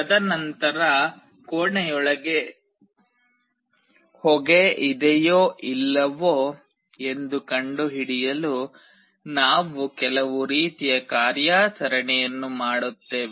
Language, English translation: Kannada, And then we will do some kind of operation to find out whether there is smoke inside the room or not